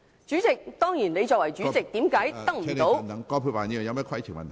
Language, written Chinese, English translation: Cantonese, 主席，當然你作為主席，為甚麼得不到......, President you are of course the Legislative Council President . Why do you fail to command